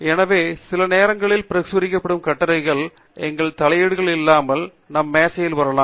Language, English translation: Tamil, So, sometimes it is also possible that the articles that are being published can come to our desk without our intervention